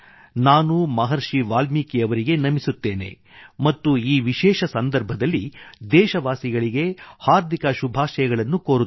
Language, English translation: Kannada, I pay my obeisance to Maharishi Valmiki and extend my heartiest greetings to the countrymen on this special occasion